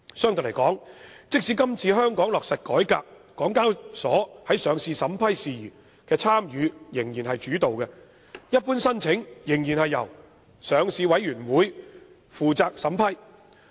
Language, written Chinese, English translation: Cantonese, 相對而言，即使香港落實這次改革，港交所在上市審批事宜的參與仍屬主導，一般申請仍然由上市委員會負責審批。, In contrast even if Hong Kong implements these reforms HKExs participation in the vetting and approval of listing applications will remain dominant and normal applications will be vetted and approved by the Listing Committee all the same